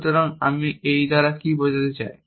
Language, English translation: Bengali, So, what do I mean by this